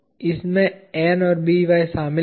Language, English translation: Hindi, This involved N and By